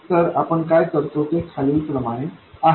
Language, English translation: Marathi, So, what we do is the following